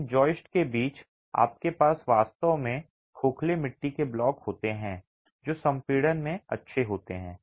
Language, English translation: Hindi, Between these joists you actually have hollow clay blocks which are good in compression